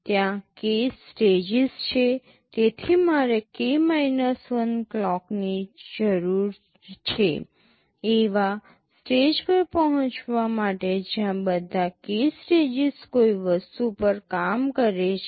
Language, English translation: Gujarati, There are k stages, so I need k 1 clocks to reach a stage where all the k stages are working on something